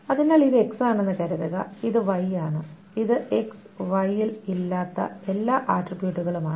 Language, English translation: Malayalam, So suppose this is X, this is Y, and this is all the attributes that are not in x and y